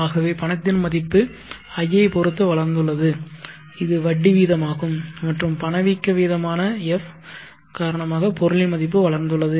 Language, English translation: Tamil, So the value of money has grown because of I which is the interest rate and the value of the item has grown because of the F that is the inflation rate